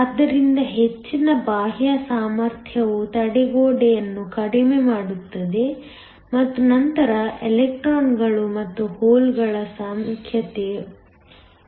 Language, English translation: Kannada, So, higher the external potential lower the barrier and then higher the number of electrons and holes